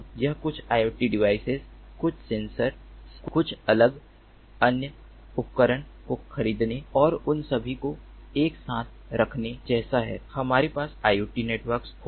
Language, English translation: Hindi, it is not like buying few iot devices, few sensors, few different other devices and putting them all together we will have an iot network